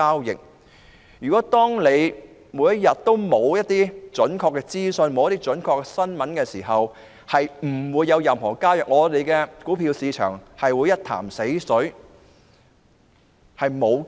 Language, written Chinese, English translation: Cantonese, 如沒有準確的資訊及新聞發布，便不會有任何交易，我們的股票市場會變成一潭死水。, Without accurate information and news release there will not be any transactions and our stock market will be similar to a pool of stagnant water